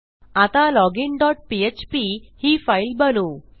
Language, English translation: Marathi, Now let us create our login dot php file